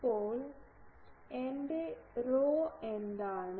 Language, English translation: Malayalam, Now, what is my rho